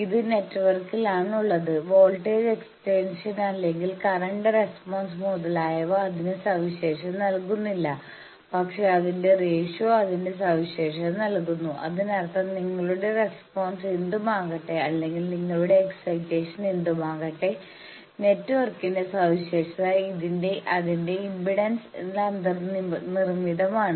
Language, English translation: Malayalam, It is in network does not get characterized by it is voltage excitation or it is current response etcetera, but the ratio of that; that means, whatever may be your response or whatever may be your excitation, the characteristic of the network is in built in it is impedance